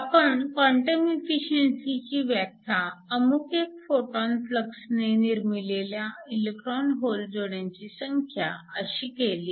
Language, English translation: Marathi, We define quantum efficiency as the number of electron hole pairs that are generated for a certain photon flux